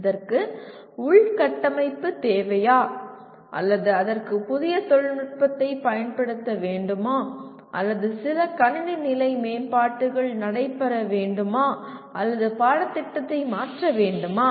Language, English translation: Tamil, Does it require infrastructure or does it require use of a new technology or some system level improvements have to take place or the curriculum itself has to be altered